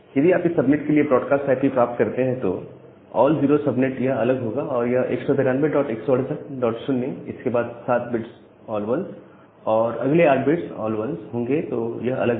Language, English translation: Hindi, So, if you find out the broadcast IP for this subnet, the all 0 subnet that will be different that will be equal to 192 dot 168 dot 0 then all 1s dot all 1s that would be different